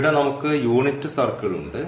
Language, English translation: Malayalam, So, here can we have the unit circle